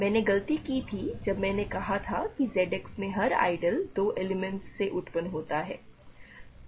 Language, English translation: Hindi, The mistake I made was, when I said that every ideal in Z X is generated by 2 elements